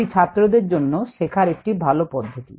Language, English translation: Bengali, its a very good learning experience for the students